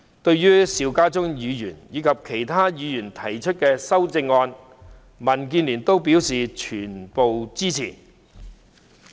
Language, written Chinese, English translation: Cantonese, 對於邵家臻議員的原議案以及其他議員提出的修正案，民建聯表示全部支持。, DAB supports Mr SHIU Ka - chuns original motion and all the amendments proposed by the other Members